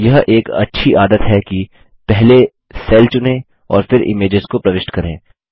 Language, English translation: Hindi, It is a good practice to select a cell and then insert pictures